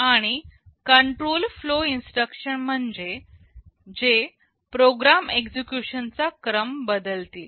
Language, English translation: Marathi, And, control flow instructions are those that will alter the sequence of execution of a program